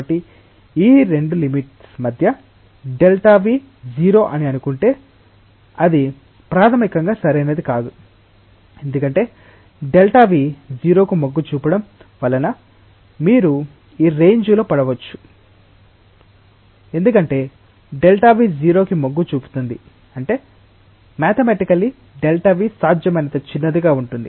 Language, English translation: Telugu, So, in between these 2 limits therefore, if we say delta v tends to 0 that is not fundamentally correct, because delta v tends to 0 may make you fall on this regime, because delta v tends to 0 means mathematically delta v is as small as possible